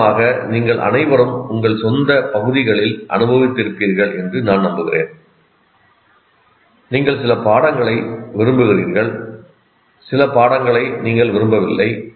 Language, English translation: Tamil, For example, I'm sure all of you experience in your own areas, you like some subjects, you don't like some subjects